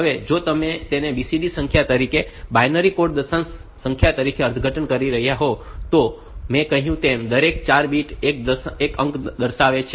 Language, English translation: Gujarati, Now if you are interpreting it as a BCD number, binary coded decimal number, then as I said that the each 4 bit is constituting one digit